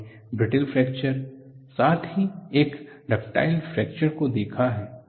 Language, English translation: Hindi, Brittle fracture is known as cleavage, ductile fracture is also known as rupture